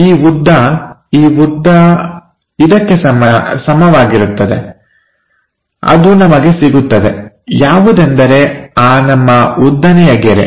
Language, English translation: Kannada, This distance, this distance will be equal like that we will get, let us vertical line